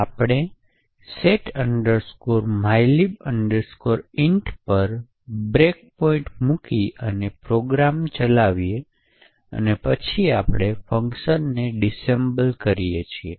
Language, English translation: Gujarati, We put a breakpoint at setmylib int and run the program and then we disassemble the function